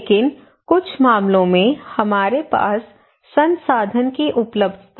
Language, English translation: Hindi, But some cases right we have less resource availability